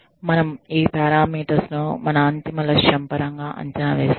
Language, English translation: Telugu, We evaluate these parameters, in terms of, what our ultimate goal is